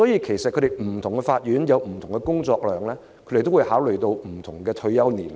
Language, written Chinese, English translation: Cantonese, 其實不同法院有不同的工作量，他們會按此考慮不同的退休年齡。, As the workload of different courts varies the relevant retirement ages are set accordingly